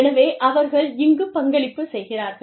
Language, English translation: Tamil, So, they are contributing here